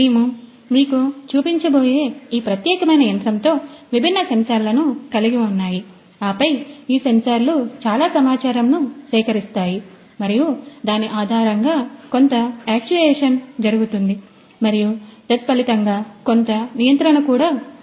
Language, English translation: Telugu, So, we have different sensors that are equipped with this particular machine that we are going to show you now and then these sensors they collect lot of data and based on that there is some actuation that is performed and also consequently some kind of control